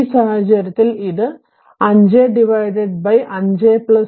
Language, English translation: Malayalam, So, in this case this is 5 by 5 plus 2 into i1